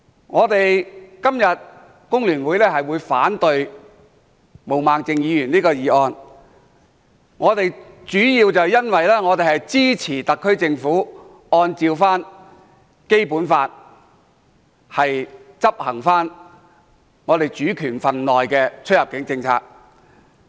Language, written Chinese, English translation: Cantonese, 我們工聯會今天反對毛孟靜議員的議案，主要是因為我們支持特區政府按照《基本法》執行我們主權份內的出入境政策。, Today we The Hong Kong Federation of Trade Unions oppose Ms Claudia MOs motion mainly because we support the SAR Governments enforcement of the immigration policy within our own sovereignty in accordance with the Basic Law